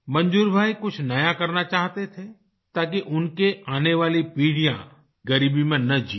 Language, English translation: Hindi, Manzoor bhai wanted to do something new so that his coming generations wouldn't have to live in poverty